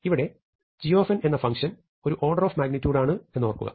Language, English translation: Malayalam, Now, remember that g of n is going to be now a function which is an order a magnitude